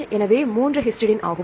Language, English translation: Tamil, So, 3 histidine